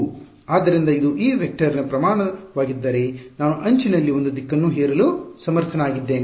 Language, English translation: Kannada, So, if it is the magnitude of this vector I am at least able to impose a direction along some edge ok